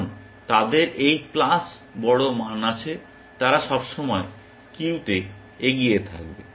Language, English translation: Bengali, Because they have this plus large value, they will always be ahead of the queue